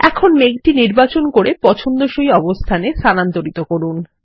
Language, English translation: Bengali, Now select the cloud and move it to the desired location